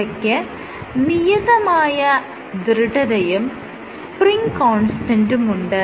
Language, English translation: Malayalam, So, you have some spring stiffness, spring constant